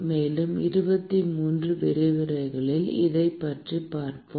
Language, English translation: Tamil, And we will be looking at it in about 23 lectures